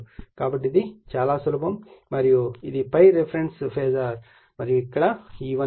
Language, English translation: Telugu, So, this is simply and this is the ∅ the reference phasor right and E1 is given here